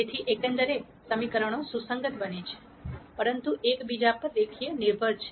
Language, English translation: Gujarati, So, as a whole the equations become consistent, but linearly dependent on each other